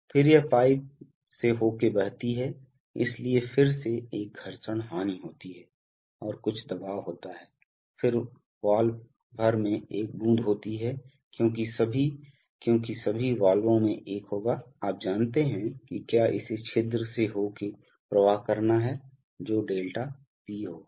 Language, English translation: Hindi, Then this flows through the pipe, so again there is a friction loss and there is some pressure head, then there is a drop across the valve because all, because all valves will have a, you know if it has to flow through an orifice there has to be a ∆P